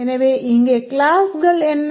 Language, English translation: Tamil, So, what are the classes here